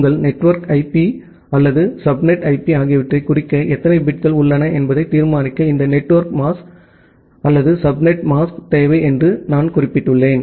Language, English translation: Tamil, And as I mentioned that you require this netmask or subnet mask to determine that how many number of bits are there to denote your network IP or the subnet IP